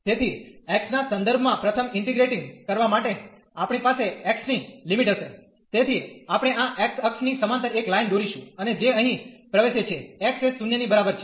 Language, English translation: Gujarati, So, for integrating first with respect to x, we will have the limits for the x, so we will draw a line parallel to this x axis and that enters here x is equal to 0